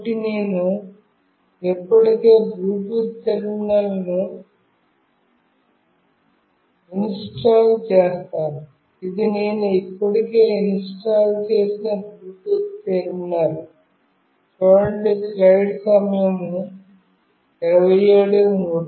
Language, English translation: Telugu, So, I have already installed a Bluetooth terminal, this is the Bluetooth terminal that I have already installed